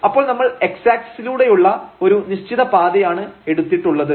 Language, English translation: Malayalam, So, we are taking a particular path along this x axis